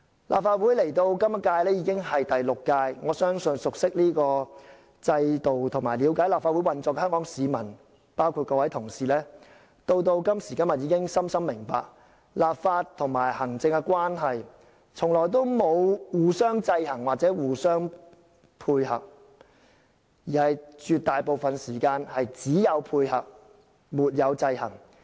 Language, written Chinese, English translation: Cantonese, "立法會到本屆已是第六屆，我相信熟悉這個制度和了解立法會運作的香港市民，包括各位同事，到今時今日已深深明白，立法和行政關係從來都不是互相制衡又互相配合，而在絕大部分時間只有配合，沒有制衡。, As this is the Sixth Legislative Council I believe that Hong Kong people who are familiar with the system and well understand the operation of the Legislative Council including my Honourable colleagues would fully understand that nowadays the relationship between the executive authorities and the legislature is never one that involves the regulation of each other and coordination of activities . Instead it is one that involves coordination most of the time and no regulation whatsoever